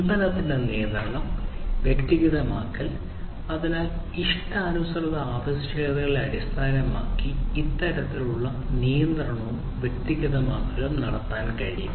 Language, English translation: Malayalam, Control of the product; product control; personalization, so basically based on the custom requirements, basically this kind of control can be done; so personalization and so on